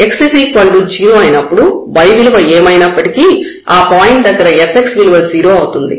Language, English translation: Telugu, So, when x is 0 fx at whatever point along this x is equal to 0, for whatever y this will be 0